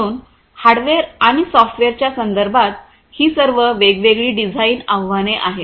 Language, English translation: Marathi, So, all of these are different design challenges with respect to hardware and software